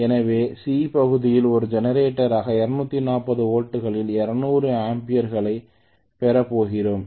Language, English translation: Tamil, So in part C I am going to have 200 amperes at 240 volts as a generator